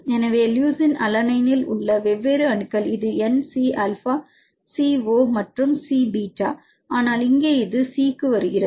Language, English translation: Tamil, So, different atoms in leucine alanine this is N C alpha C O and C beta, but here this come to C right here and you can see N and O together